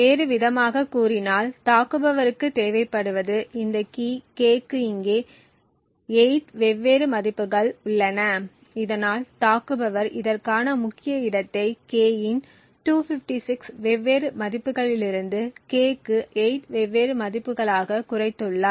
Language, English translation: Tamil, In other words what the attacker would require would end up over here is just 8 different values for this key k thus the attacker has reduced the key space for this from 256 different values of k to just 8 different values for k